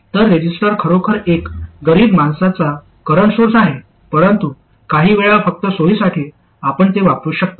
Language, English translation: Marathi, So a resistor is really a poor man's current source but sometimes just for the sake of convenience you can use that